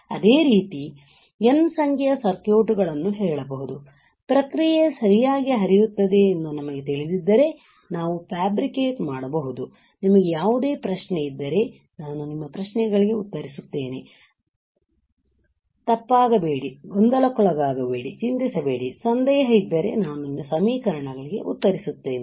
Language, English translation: Kannada, Similarly, we can say N number of circuits, we can fabricate if we know the process flow all right, if you have any question, I will answer your questions, do not go wrong get confused; do not worry, I will answer equations if you have any all right